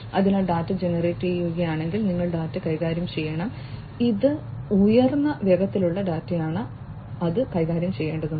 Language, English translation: Malayalam, So, if the data is getting generated you have to handle the data and this is a high velocity data that is coming in and that has to be handled